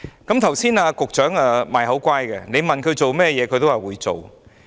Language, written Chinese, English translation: Cantonese, 剛才局長"賣口乖"，要他做甚麼也答應會做。, Just now the Secretary paid lip service and promised to do whatever was requested